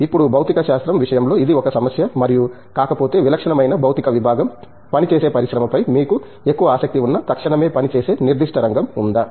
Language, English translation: Telugu, Now, in the case of physics is this an issue and if not also, are there specific area that typical physics department work on which the industry is you know more interested in, the immediate